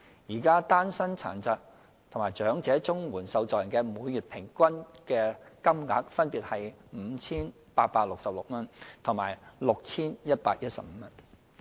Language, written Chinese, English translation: Cantonese, 現時，單身殘疾及長者綜援受助人的每月平均金額分別為 5,866 元及 6,115 元。, At present the average monthly CSSA payments for singletons with disabilities and elderly singletons are at 5,866 and 6,115 respectively